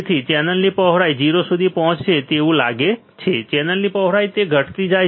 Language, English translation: Gujarati, So, width of channel looks like is reach to 0, width of channel it goes on decreasing